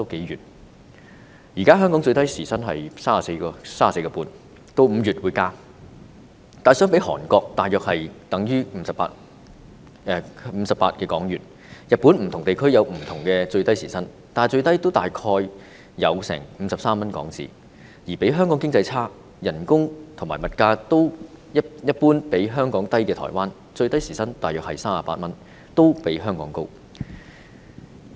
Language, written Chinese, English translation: Cantonese, 現時香港的最低時薪是 34.5 元，到5月便會增加，但相比之下，在韓國大約是58港元；日本的不同地區有不同的最低時薪，但最低也有大約53港元，而經濟較香港差，但工資和物價一般較香港低的台灣，最低時薪是大約38港元，也較香港高。, The minimum hourly wage in Hong Kong is 34.5 at present and will be increased in May . But in comparison it is about HK58 in Korea; in Japan where the minimum hourly wage varies in different regions it is about HK53 the lowest; and in Taiwan where the economy compares less favourably with that of Hong Kong but the wages and prices are generally lower than those in Hong Kong the minimum hourly wage is about HK38 which is still higher than ours in Hong Kong